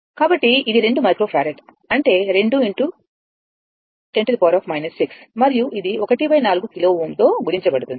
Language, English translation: Telugu, So, it is 2 microfarad; that means, 2 into 10 to the power minus 6 and this is into your 1 by 4 kilo ohm